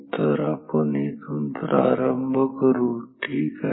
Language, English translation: Marathi, So, we shall start from here no here ok